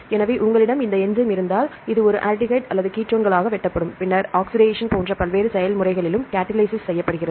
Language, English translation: Tamil, So, if you have this enzyme this will cut into an aldehyde or the ketones, then also catalytic catalyze in various processes like the oxidation and so on